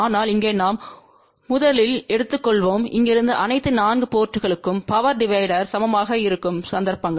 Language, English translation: Tamil, But here we will first take the cases where the power divisions from here to all the 4 ports are equal